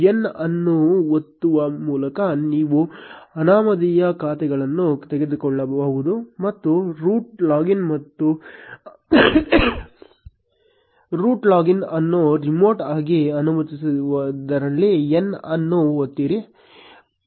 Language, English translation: Kannada, You can remove anonymous accounts by pressing n and also press n for disallowing root login remotely